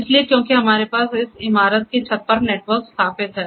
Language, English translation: Hindi, So, because we have the network installed right over the rooftop of this one building